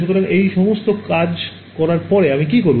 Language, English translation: Bengali, So, after having done all of this, what do I do